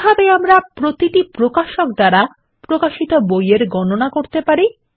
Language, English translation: Bengali, How do we get a count of books for each publisher